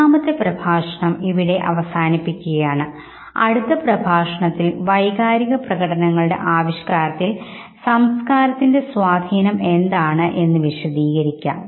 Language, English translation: Malayalam, So we will end your third lecture here, in the next lecture we will be talking about specifically the influence of culture on emotional expression